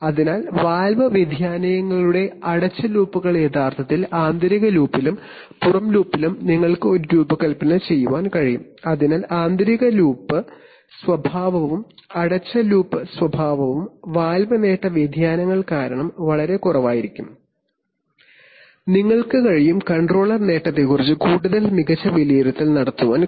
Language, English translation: Malayalam, So the closed loops of the valve variations are actually taken care of in the inner loop and in the outer loop you can design a, so the inner loop characteristic, closed loop characteristic varies much less because of valve gain variations and you can, you are able to make a much better estimate of the controller gain